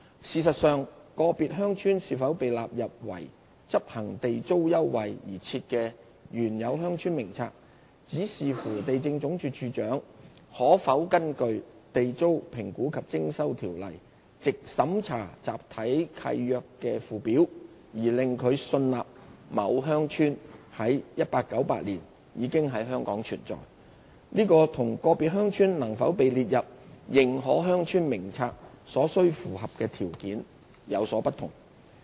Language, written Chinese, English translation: Cantonese, 事實上，個別鄉村是否被納入為執行地租優惠而設的《原有鄉村名冊》，只視乎地政總署署長可否根據《地租條例》藉審查集體契約的附表而令他信納某鄉村在1898年已在香港存在，這與個別鄉村能否被列入《認可鄉村名冊》所須符合的條件，有所不同。, Hence the two lists should not be compared in the same light . In fact whether an individual village could be included in the List of Established Villages compiled for the purpose of rent concessions is solely subject to whether the Director of Lands is satisfied under the Ordinance that the individual village was in existence in Hong Kong in 1898 by examining the schedule to the Block Government Leases . This is different from the criteria which an individual village has to meet in order for it to be included in the List of Recognized Villages